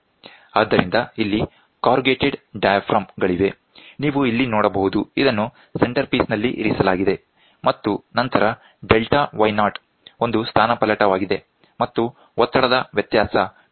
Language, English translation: Kannada, So, here are corrugated diaphragms, you can see here this is placed here the centerpiece and then this is a displacement is a delta y naught, and the pressure difference is P1 P 2